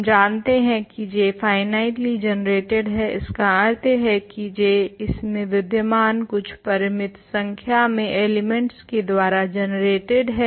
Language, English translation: Hindi, We know that J is finitely generated; that means, J belongs sorry J is generated by some finitely many elements of it contained in J